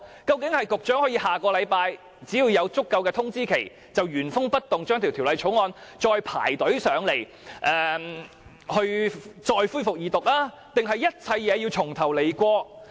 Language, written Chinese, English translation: Cantonese, 究竟是局長有了足夠的通知期，下星期便可以原封不動把《條例草案》再提交立法會恢復二讀，還是一切要重新開始？, Will the Secretary have a sufficient notice period so that he can reintroduce the Bill into the Legislative Council next week for resumption of Second Reading? . Will we have to start all over again?